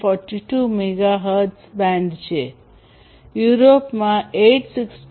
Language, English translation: Gujarati, 42 megahertz band that is used, in Europe it is 868